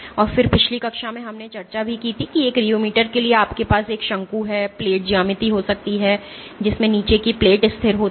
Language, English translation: Hindi, And again, in last class we had discussed that for a rheometer you can have a cone and plate geometry in which the bottom plate is stationary it is fixed